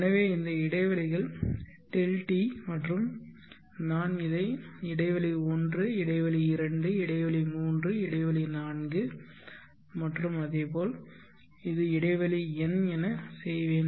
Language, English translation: Tamil, t and I will this one as interval 1, interval 2, interval 3, interval 4 and so on, this is interval n